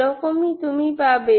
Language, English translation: Bengali, So this is what you will get